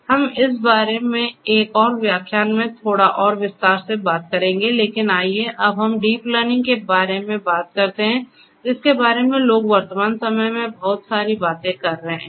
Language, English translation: Hindi, We will talk about this in little bit more detail in another lecture, but let us now talk about deep learning which is another thing that people are talking about a lot in the present day